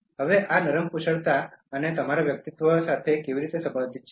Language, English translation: Gujarati, Now how is this related to soft skills and your personality